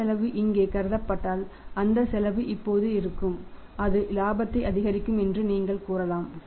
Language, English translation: Tamil, And if that cost is considered here then that cost will be now you can say that will for the increase the profit